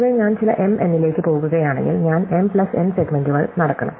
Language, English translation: Malayalam, In general, if I am going to some (m, n), I must walk m plus n segments